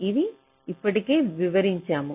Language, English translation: Telugu, i shall be explaining this